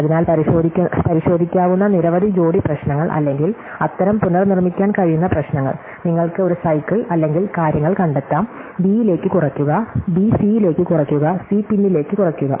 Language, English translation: Malayalam, So, it turns out that that many pairs of checkable problems or such inter reducible problem, either directly are you may find a cycle or things A reduce to B, B reduce to C and C reduces back to A